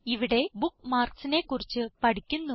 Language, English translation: Malayalam, In this tutorial, we will learn about Bookmarks